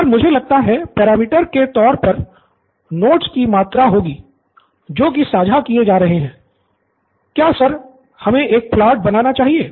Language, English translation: Hindi, So I guess, the parameter would be the amount of notes that are being shared, the quantity of notes, so sir should we make a plot or